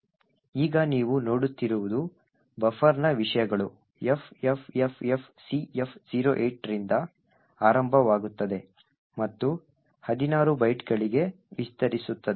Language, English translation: Kannada, Now what you see in that the contents of the buffer starts at FFFFCF08 and extends for 16 bytes